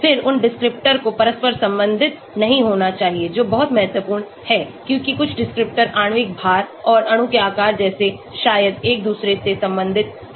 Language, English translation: Hindi, Then, those descriptors should not be cross correlated that is very, very important because some descriptors like molecular weight and size of the molecule maybe related to each other